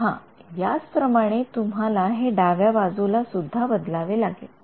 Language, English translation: Marathi, Yeah you similarly you have to change it for the left